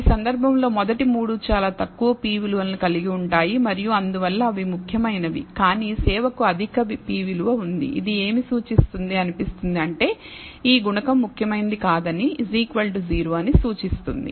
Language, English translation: Telugu, So, in this case the first three has very low p values and therefore, they are significant, but service has a high p value therefore, it seems to indicate that this coefficient is insignificant is equal almost equal to 0 that is what this indicates